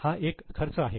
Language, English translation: Marathi, This is one of the expenses